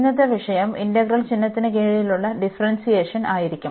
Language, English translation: Malayalam, And today’s topic will be Differentiation Under Integral Sign